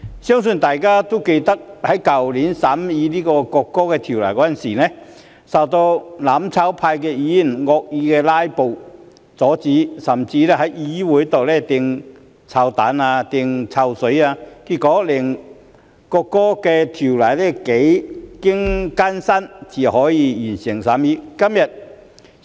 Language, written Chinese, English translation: Cantonese, 相信大家還記得，去年我們在審議《國歌條例草案》時，遭到"攬炒派"議員惡意"拉布"阻止，甚至在議會上擲臭蛋、潑臭水，結果我們幾經艱辛才能完成審議《國歌條例草案》。, I think we all still remember that when we scrutinized the National Anthem Bill last year members of the mutual destruction camp tried to obstruct our work by means of malicious filibustering and even throwing rotten eggs and pouring smelly water